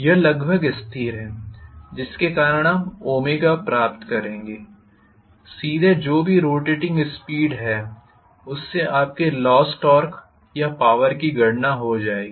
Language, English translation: Hindi, It is almost still because of which you will get omega, directly whatever is the rotating speed that will become omega as to calculate whatever is your loss torque or the power